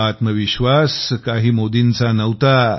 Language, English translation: Marathi, The confidence was not Modi's